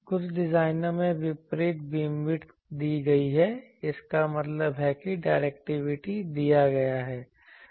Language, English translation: Hindi, In some designs the opposite, the beam width is given; that means, the directivity is given